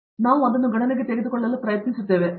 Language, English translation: Kannada, So, we try to take that into account